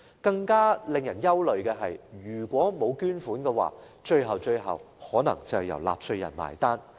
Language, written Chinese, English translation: Cantonese, 更令人憂慮的是，如果沒有捐款，最後可能要由納稅人"埋單"。, Wore worrying still is that if no donations are received taxpayers may have to foot the bill eventually